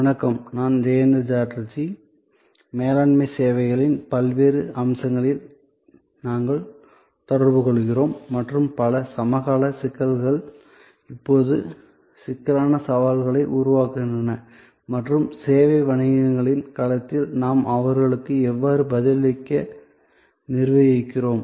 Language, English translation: Tamil, Hello, I am Jayanta Chatterjee and we are interacting on the various aspects of Managing Services and the many contemporary issues that now creates complexities, challenges and how we are managing to respond to them in the domain of the service businesses